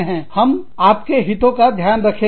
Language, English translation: Hindi, We will take your interests, into account